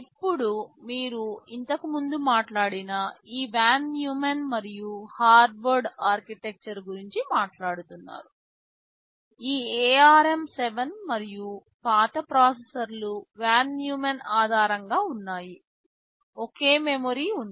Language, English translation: Telugu, Now talking about this von Neumann and Harvard architecture you already talked about earlier, this ARM 7 and the even older processors were based on von Neumann, there was a single memory